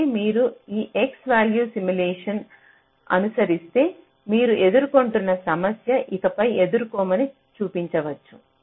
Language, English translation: Telugu, so if you follow this x value simulation, it can be shown that the problem that you are facing, that we will not be facing anymore